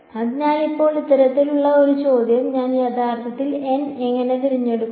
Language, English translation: Malayalam, So, now this sort of brings a question how do I actually choose n